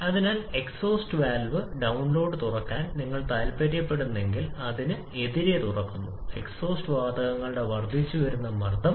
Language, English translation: Malayalam, And therefore, if you want to open the exhaust valve download then we have open it against this increasing pressure of the exhaust gases